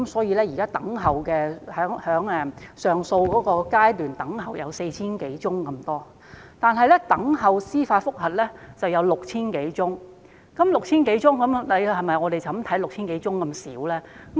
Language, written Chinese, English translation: Cantonese, 現時等候上訴的個案有 4,000 多宗，等候司法覆核的個案則多達 6,000 多宗，但實際數目是否這麼少呢？, There are 4 000 - odd cases pending determination of appeal and 6 000 - odd cases pending judicial review . That said is the actual number so small?